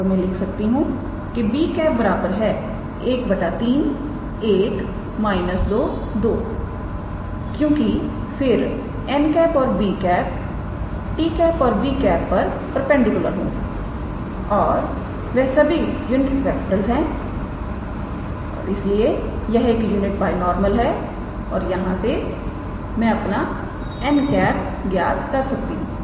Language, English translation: Hindi, So, I can write simply b as 1 by 3 1 minus 2 and 2 because then n and b at t and b will be perpendicular they are unit vectors and therefore, it is a unit binormal and from here I can calculate my n cap